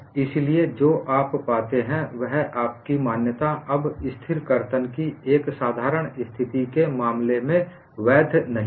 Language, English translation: Hindi, So, what you find is, your assumption is no longer valid in the case of even a simple situation of constant shear